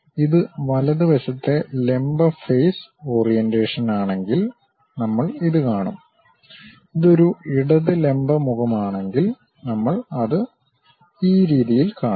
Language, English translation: Malayalam, If it is right hand vertical face the orientation, then we will see this one; if it is a left hand vertical face, we will see it in this way